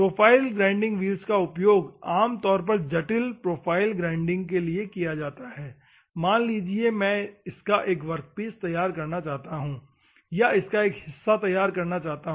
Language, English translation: Hindi, Profile grinding wheels are normally used for grinding intricate profiles assume that I want to do a workpiece of this one or finished part of this one